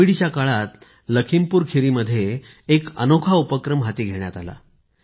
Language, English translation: Marathi, A unique initiative has taken place in LakhimpurKheri during the period of COVID itself